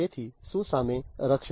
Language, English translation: Gujarati, So, protecting against what